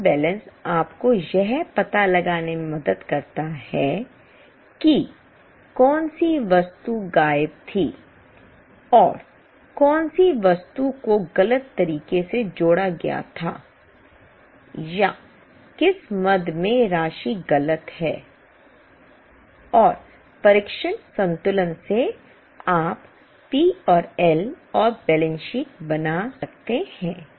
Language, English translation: Hindi, Trial balance helps you to find out which item was missing and which item was wrongly added or which item the amount is wrong and from trial balance you can make P&L and balance sheet